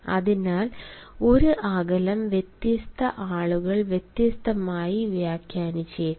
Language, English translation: Malayalam, hence a space distancing may be interpreted differently by different people